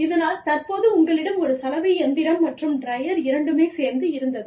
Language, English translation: Tamil, So, you had a washing machine, and a dryer